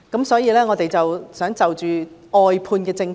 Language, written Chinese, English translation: Cantonese, 所以，我想先討論外判政策。, Hence I will first talk about the briefing out policy